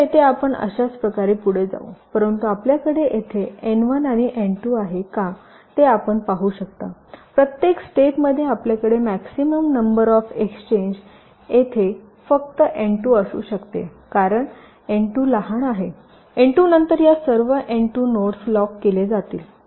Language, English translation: Marathi, but if you can see, if we had n one and n two here, for at every step the maximum number of exchanges that we can have, maximum exchanges, can only be n two here, because n two is smaller after n two